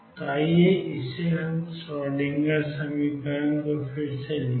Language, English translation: Hindi, So, let us rewrite the Schrodinger equation for this